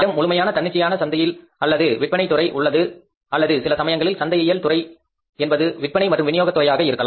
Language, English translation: Tamil, We have the full fledged independent marketing and sales department or maybe sometime marketing department sales and distribution department